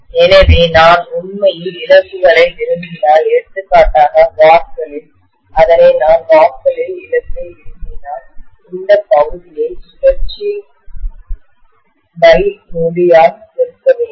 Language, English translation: Tamil, So if I really want the losses, for example in watts, I have to basically multiply this by, so if I want the loss in watts, then I have to multiply this area by cycles per second